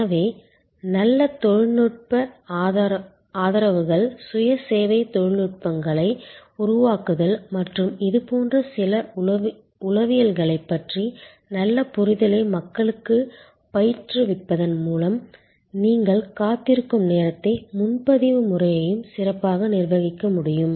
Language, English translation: Tamil, So, creating good technological supports self service technologies and a training people good understanding of the few psychologies like this you can manage the waiting time and the reservation system much better